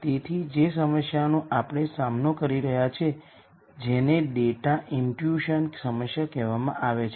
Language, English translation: Gujarati, So, the problem that we are going to deal with is what is called the data imputation problem